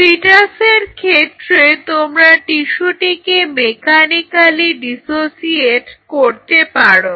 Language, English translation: Bengali, So, in the case of fetal you can mechanically dissociate the tissue